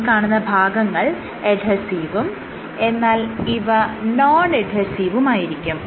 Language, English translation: Malayalam, These areas are adhesive and this is Adhesive and this area is Non Adhesive